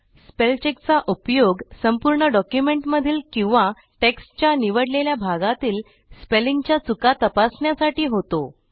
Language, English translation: Marathi, Spellcheck is used for checking the spelling mistakes in the entire document or the selected portion of text